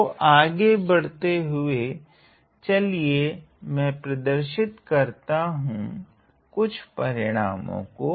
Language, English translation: Hindi, So, to move ahead, to move ahead let me just introduce, some results